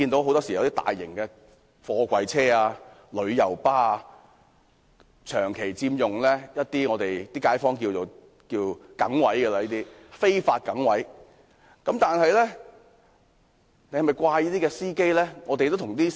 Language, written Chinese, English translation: Cantonese, 很多大型貨櫃車及旅遊巴長期佔用街坊所說的"梗位"，而這些"梗位"都是非法的。, Many large container trucks and coaches have persistently occupied the fixed parking spaces so - called by the residents and such parking spaces are illegal